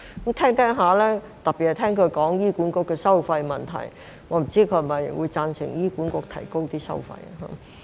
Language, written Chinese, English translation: Cantonese, 就他的發言，特別是他提及醫管局的收費問題，我不清楚他是否會贊成醫管局提高收費。, As far as his speech is concerned especially the fees and charges of the Hospital Authority HA he has mentioned I wonder if he would support the increase of fees and charges by HA